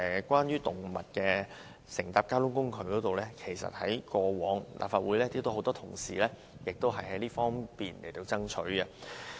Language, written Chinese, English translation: Cantonese, 關於動物乘搭交通工具，其實過往立法會有很多同事也曾作出爭取。, In respect of bringing pets along to travel on public transport many colleagues of the Legislative Council had made such a request before